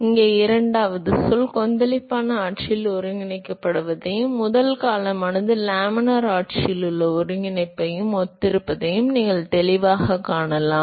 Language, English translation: Tamil, And so, clearly you can see that the second term here, corresponds to the integration in the turbulent regime, and the first term corresponds to the integration in the laminar regime